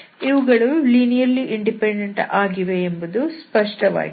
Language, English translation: Kannada, Obviously they should be linearly independent